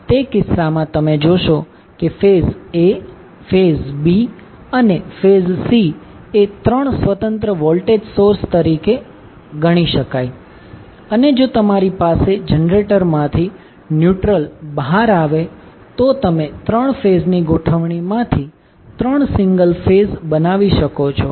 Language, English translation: Gujarati, So, in that case you will see that phase A phase, B phase and C can be considered as 3 independent voltage sources and if you have neutral coming out of the generator, so, you can have 3 single phase created out of 3 phase arrangement